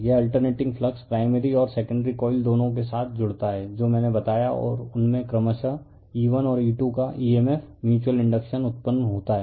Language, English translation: Hindi, This alternating flux links with both primary and the secondary coils right that I told you and induces in them an emf’s of E1 and E2 respectively / mutual induction